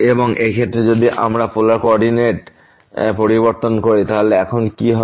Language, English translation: Bengali, And in this case if we change the coordinate to this polar coordinate what will happen now